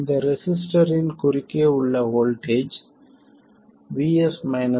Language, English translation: Tamil, We know that the voltage across this resistor is vS minus v1